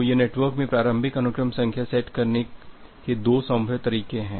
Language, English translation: Hindi, So, this are two feasible way of setting the initial sequence number in the network